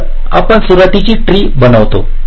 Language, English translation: Marathi, so we construct the initials tree